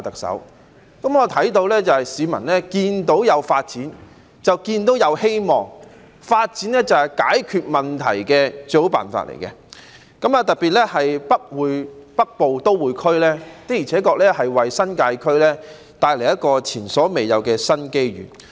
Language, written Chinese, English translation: Cantonese, 市民看見有發展便有希望，發展是解決問題的最好辦法，特別是北部都會區的而且確為新界區帶來前所未有的新機遇。, The public see hopes whenever they see development given that development is the best solution to problems . This is especially true when the development of the Northern Metropolis will bring new and unprecedented opportunities to the New Territories